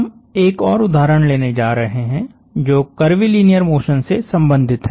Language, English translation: Hindi, We are going to take up another example this one related to curvilinear motion